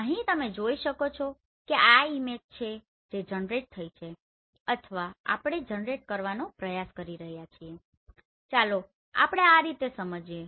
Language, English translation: Gujarati, Here you can see this is the image which has been generated or we are trying to generate let us understand in this way